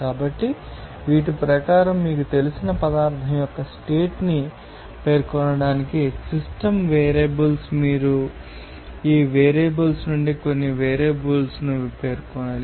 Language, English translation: Telugu, So, according to these are system variables to specify the state of that particular you know substance, you need to specify some variables out of these variables